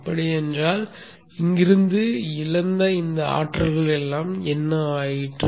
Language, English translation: Tamil, So what has happened to all this energy lost from here to here